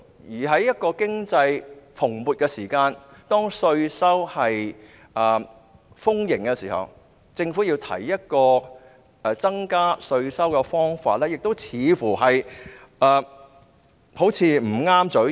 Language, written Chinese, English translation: Cantonese, 而在經濟蓬勃、稅收豐盈的時候，政府提出增加稅收的方法，亦似乎"不合嘴型"。, During economic boom when there is abundant tax revenue it will seem inappropriate for the Government to raise the issue of tax increase